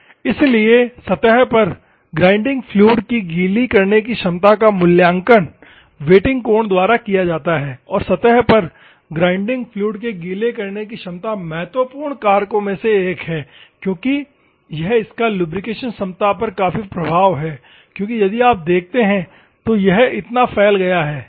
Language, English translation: Hindi, So, the wetting ability of grinding fluid on the surface is evaluated by wetting angle and the wet ability of grinding fluids on the surface is one of the important factors because it will substantially affect on it is lubrication capability because if you see, if this much is occupied what will happen